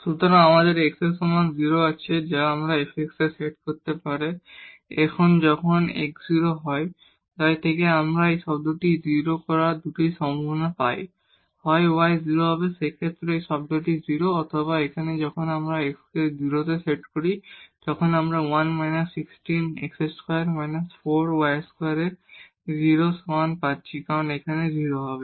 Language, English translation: Bengali, So, we have x is equal to 0 there which can set to this fx 0 and now when x is 0, so from here we get 2 possibilities to make this term 0; either y will be 0, in that case also this term will be 0 or here when we set x to 0 we are getting this 1 minus 16 x square c 1 minus 4 y square is equal to 0 because x is said to be 0 here